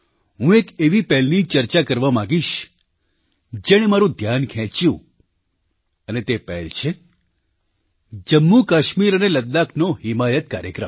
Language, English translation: Gujarati, I would like to discuss one such initiative that has caught my attention and that is the 'Himayat Programme'of Jammu Kashmir and Ladakh